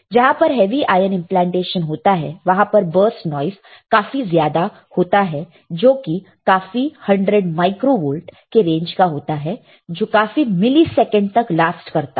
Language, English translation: Hindi, And there is a heavy ion implantation you will see or you will find there is a burst noise as high as several hundred micro volts lasts for several milliseconds